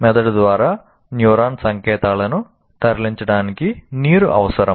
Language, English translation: Telugu, Water is required to move neuronal signals through the brain